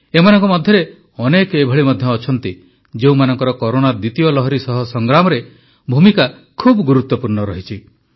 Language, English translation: Odia, Amidst all this, there indeed are people who've played a major role in the fight against the second wave of Corona